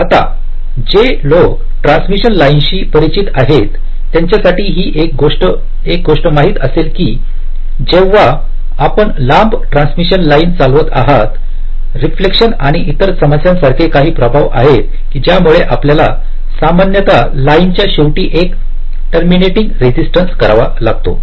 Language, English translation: Marathi, right now, one thing now, for those who are familiar with transmission lines, will be knowing that whenever you are driving a long transmission line, there are some effects like reflection and other problems, because of which we normally have to use a terminating resistance at the end of the line